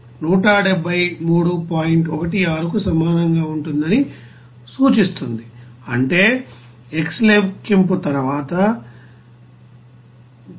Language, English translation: Telugu, 16, that means x will be is equal to after calculation 5